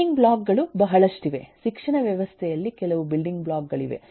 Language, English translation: Kannada, there are very in the education system there are few building blocks